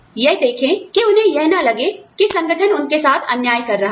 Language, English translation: Hindi, They will see, they should not feel, that the organization is being unfair to them